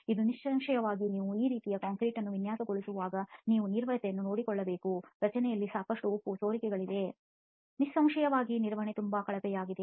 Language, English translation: Kannada, Now obviously when you are designing concrete like this atleast you should take care of the maintenance, there is a lot of salt spills that happened in the structure, obviously maintenance was very poor